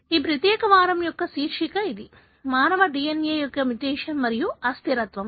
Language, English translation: Telugu, So, that’s the title of this particular week that is“mutation and instability of human DNA”